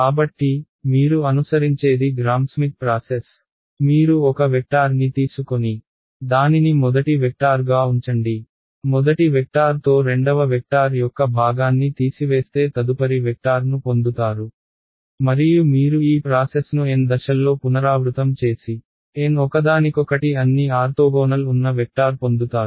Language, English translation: Telugu, Gram Schmidt process right; so, Gram Schmidt process is what you would follow, you take one vector start keep that the first vector, subtract of the part of the second vector along the first vector you get the next vector and you repeat this process in N steps you get N vectors that are all orthogonal to each other right